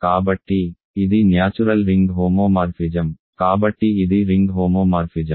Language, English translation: Telugu, So, this is a natural ring homomorphism, so it is an onto ring homomorphism